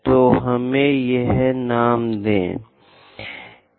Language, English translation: Hindi, So, let us name this